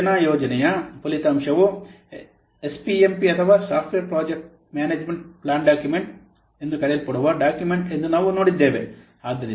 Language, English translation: Kannada, The output of software project management is this SPMP document, which is known as software project management plan document